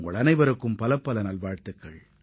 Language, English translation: Tamil, My best wishes to you all